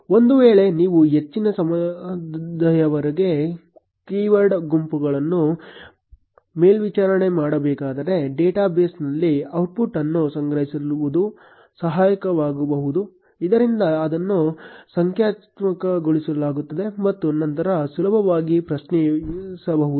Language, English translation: Kannada, In case you had to monitor a set of keywords for a large amount of time, storing the output in a database can be helpful, so that it is indexed and can be easily queried later